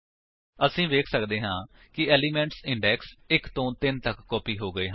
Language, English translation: Punjabi, As we can see, the elements from index 1 to 3 have been copied